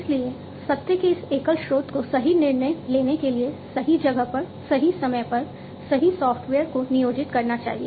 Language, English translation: Hindi, So, this single source of truth must employ the right software, at the right time, at the right place for right decision making